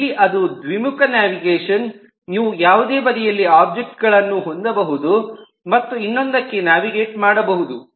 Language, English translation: Kannada, here it is a bidirectional navigation that you can have objects on any side and navigate to the other